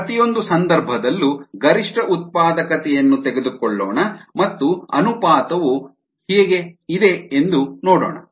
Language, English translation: Kannada, let us take the maximum possible productivity in each case and let us see what the ratio is standing out to be